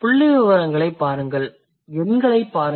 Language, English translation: Tamil, So, look at the statistics, look at the number